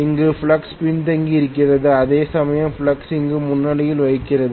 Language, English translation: Tamil, The flux here is lagging, whereas the flux is leading here